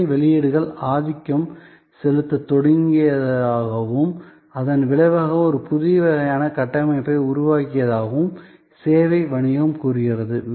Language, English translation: Tamil, And service business says service outputs started dominating and as a result we have created a new kind of a structure